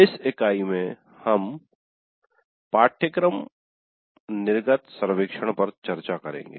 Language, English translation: Hindi, In this unit we will discuss the course exit survey